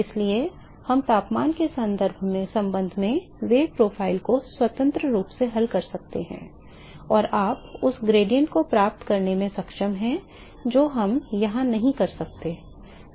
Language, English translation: Hindi, So, we could solve the velocity profile independently with respect to the temperature and you are able to get the gradient we cannot do that here